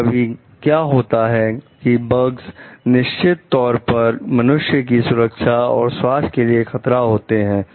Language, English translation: Hindi, Sometimes what happens like the bugs of course, threatens the human health and safety